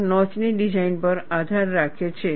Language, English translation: Gujarati, This depends on the design of the notch